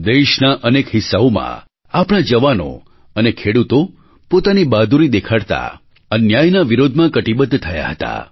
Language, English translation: Gujarati, In many parts of the country, our youth and farmers demonstrated their bravery whilst standing up against the injustice